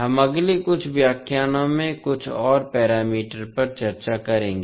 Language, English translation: Hindi, We will discuss few more parameters in the next few lectures